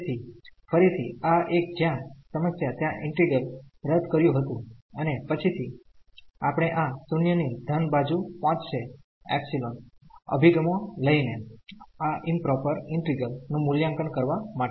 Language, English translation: Gujarati, So, again this a where the problem was there in the integral is avoided and later on we will take this epsilon approaches to 0 from the positive side to evaluate this improper integral